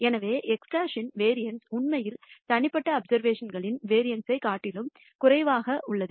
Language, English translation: Tamil, So, the variance of x bar is actually lower than the variance of the individual observations